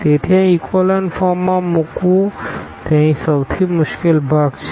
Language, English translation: Gujarati, So, this putting into echelon form that is the most I mean the difficult part here